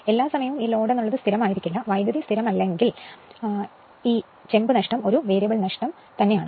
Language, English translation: Malayalam, All the time load is not constant; when the current is not constant therefore, this copper loss is a variable loss